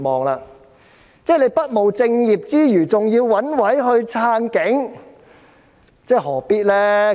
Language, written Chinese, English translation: Cantonese, 局方不務正業之餘，還要找藉口支持警察，何必呢？, Not only did the Bureau fail to do what it was supposed to do but it also found a pretext to support the Police . Was this necessary?